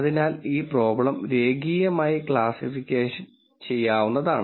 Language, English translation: Malayalam, So, this problem is linearly separable